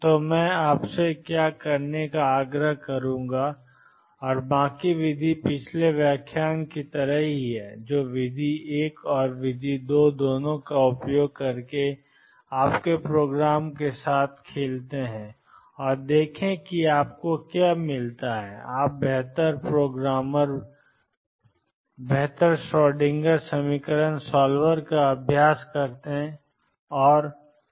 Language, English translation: Hindi, So, what I would urge you to do and the rest of the method is the same as in previous lecture that play with your programme using both method one and method two and see what you get more you practice better programmer better Schrodinger equation solver you would become